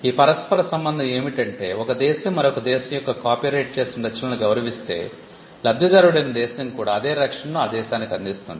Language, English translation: Telugu, Reciprocity is if one country would respect the copyrighted works of another country, the country which is the beneficiary will also extend the same protection to the other country